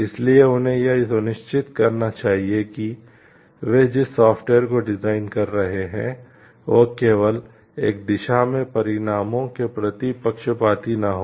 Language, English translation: Hindi, So, they should make it very sure like the software that they are designing a should not be biased towards the results in one direction only